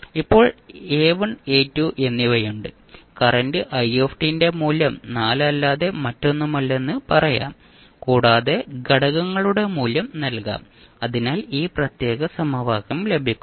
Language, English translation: Malayalam, So now we have A1 and A2 we can simply say the value of current i t is nothing but 4 plus you can put the value of the expressions, value of the components so you get this particular equation